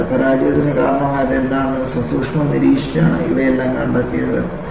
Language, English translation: Malayalam, So, this all came about by looking at critically, what has caused the failure